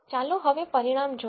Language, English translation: Gujarati, Now, let us look at the result